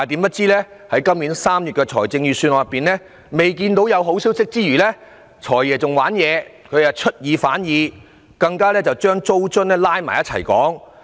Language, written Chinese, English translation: Cantonese, 可是，今年3月公布的預算案，我們不但看不到有好消息，"財爺"更出爾反爾，把租金津貼扯在一起討論。, Nevertheless in the Budget released in March this year there was no good news; worse still the Financial Secretary has changed his mind and bundled the issue of rent allowance with tax deduction for rental payments